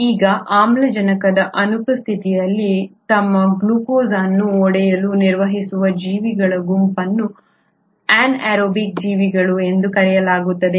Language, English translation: Kannada, Now, a set of organisms which can manage to break down their glucose in absence of oxygen are called as the anaerobic organisms